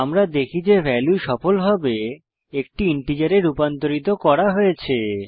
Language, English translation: Bengali, Save the file and run it we see that the value has been successfully converted to an integer